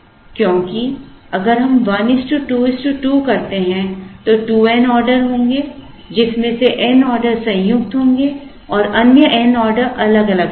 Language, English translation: Hindi, Because, if we do 1 is to 1 is to 2, there will be 2 n orders, out of which n orders will be joined and the other n orders will be individual